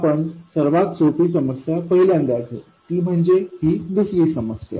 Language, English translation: Marathi, We will take the easier one first, which is the second one